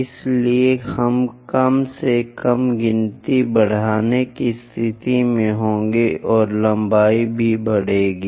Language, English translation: Hindi, So, that we will be in a position to increase that least count and the length also increases